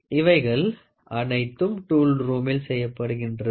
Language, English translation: Tamil, So, all these things are done in a tool room